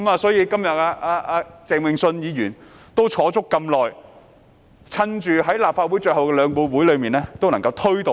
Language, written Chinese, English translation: Cantonese, 所以，鄭泳舜議員今天也坐了這麼久，把握立法會最後兩個會議加以推動。, That is why Mr Vincent CHENG has also been sitting for so long today to promote counteraction making good use of the last two Council meetings